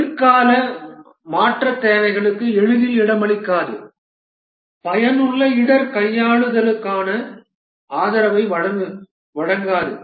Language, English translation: Tamil, Does not easily accommodate later change requirements, does not provide support for effective risk handling